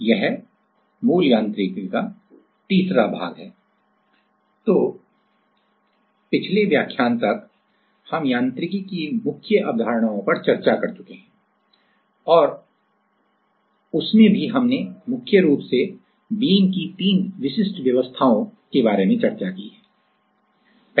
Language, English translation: Hindi, So, till the last lecture, we have already discussed the main concepts of mechanics and in that; we have mainly discussed about three specific arrangements of beams